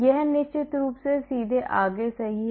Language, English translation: Hindi, This of course straight forward, right